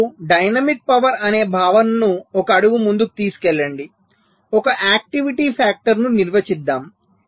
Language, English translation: Telugu, ok now, taking the concept of dynamic power one step forward, let us define something called an activity factor